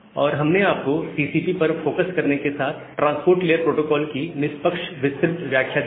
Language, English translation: Hindi, And we have given you a fairly detailed description of the transport layer protocol along with a focus on this TCP